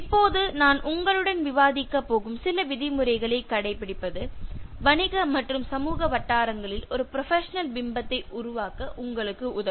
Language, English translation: Tamil, Now adhering to some of the norms that I am going to discuss with you will help you to develop a professional image in business and social circles